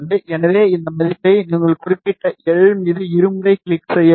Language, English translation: Tamil, So, I will place this value you just have to double click on that particular L